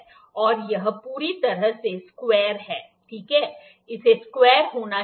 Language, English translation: Hindi, And this is perfectly square, ok, this has to be square